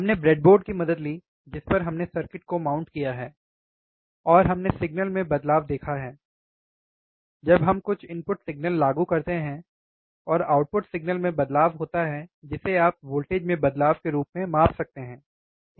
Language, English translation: Hindi, We took the help of breadboard, on which we have mounted the circuit, and we have seen the change in the signals, when we apply some input signal and a change in output signal which you can measure as change in voltages, right